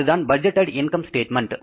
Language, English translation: Tamil, That is the budgeted income statement